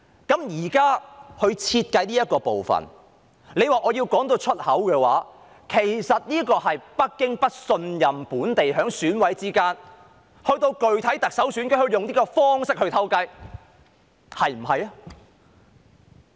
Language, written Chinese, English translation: Cantonese, 現時設計的這部分，若要我宣之於口的話，其實是緣於北京不信任本地選委，恐防他們到了具體特首選舉時會聯手用這種方式"偷雞"，是不是呢？, This current design to put it bluntly originates from Beijings lack of trust in the local EC members fearing that they will join hands in this way to secretly go against its wish in the actual Chief Executive election right?